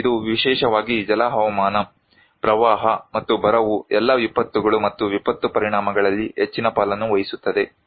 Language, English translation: Kannada, And it is the hydro meteorological particularly, the flood and drought which play a big share of the all disasters and disaster impacts